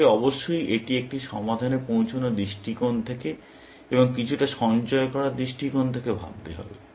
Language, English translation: Bengali, You have to think of it from the perspective of reaching a solution, and the perspective of saving on some amount, of course